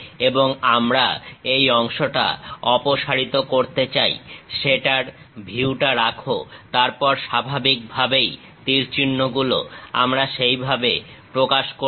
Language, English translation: Bengali, And we want to remove this portion, keep the view of that; then naturally arrows, we will represent at in that way